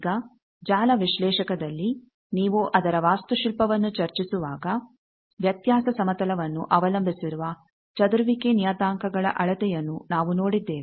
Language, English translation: Kannada, Now in network analyser when you discuss its architecture we have seen there the measurement of scattering parameters that is difference plane dependent